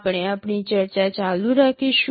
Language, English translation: Gujarati, We shall be continuing with our discussion